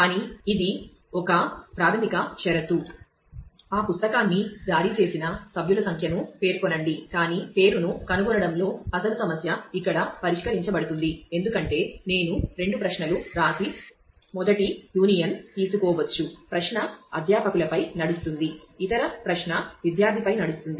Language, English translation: Telugu, But, I am sorry this is a basic condition which say the specify the member number who has issued that book, but the actual problem of finding the name can be solved here, because I can I write two queries and take a union of the first query runs on faculty the other query runs on student